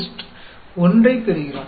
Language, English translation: Tamil, So, that gives you 0